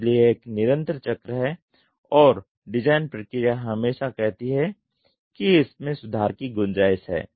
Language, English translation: Hindi, So, it is a continuous cycle and the design process always says there is a scope for improvement